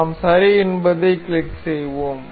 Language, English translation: Tamil, We click on ok